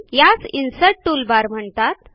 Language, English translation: Marathi, This is the Insert toolbar